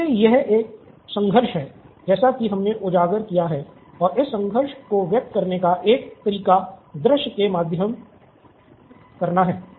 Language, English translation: Hindi, So, this is the conflict as we have highlighted, so this is a visual way to convey this conflict